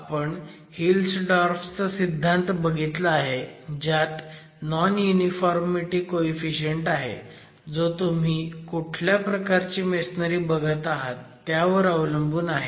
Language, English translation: Marathi, We've also seen the Hills Dorff theory where there is an additional constituent, the non uniformity coefficient depending on the type of masonry that you are looking at